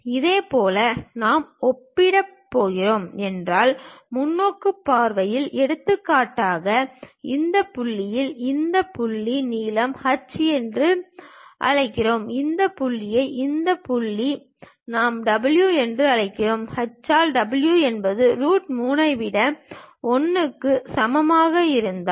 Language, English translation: Tamil, Similarly in the perspective views if we are going to compare; for example, this point to this point let us call length h, and this point to this point let us call w and if h by w is equal to 1 over root 3